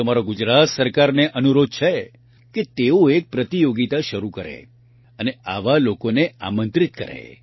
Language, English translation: Gujarati, I request the Gujarat government to start a competition and invite such people